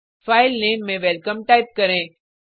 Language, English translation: Hindi, Type the Filename as welcome